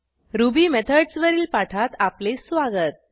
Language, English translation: Marathi, Welcome to the Spoken Tutorial on Ruby Methods